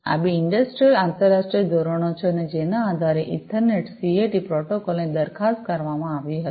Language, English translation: Gujarati, These are two industrial international standards and based on which the ether Ethernet CAT protocol was proposed